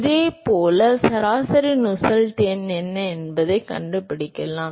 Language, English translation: Tamil, And similarly you could find out what is the average Nusselt number